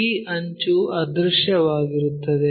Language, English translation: Kannada, This one this edge is invisible